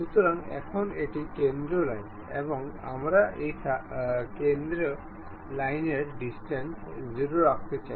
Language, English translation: Bengali, So, now the center line at this and we want to make this distance to this center line to be 0